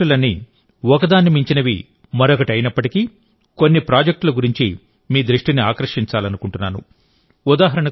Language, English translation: Telugu, Although all these projects were one better than the other, I want to draw your attention to some projects